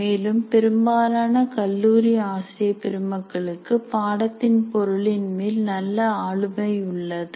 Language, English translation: Tamil, And here we can say most of the college faculty have a good command over the subject matter